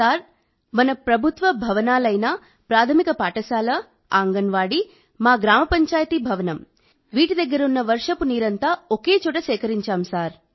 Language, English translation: Telugu, Sir, through rainwater harvesting at government buildings like primary school, Anganwadi, our Gram Panchayat building… we have collected all the rain water there, at one place